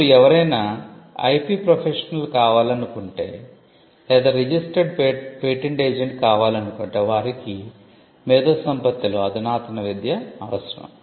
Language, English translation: Telugu, Now, if somebody wants to become an IP professional or even become a registered patent agent they would require advanced education in IP